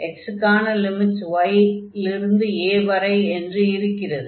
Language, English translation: Tamil, So, this limit here x goes from y to